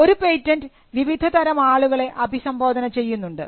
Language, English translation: Malayalam, The patent is addressed to a variety of people